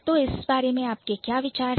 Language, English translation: Hindi, So, what is your idea about it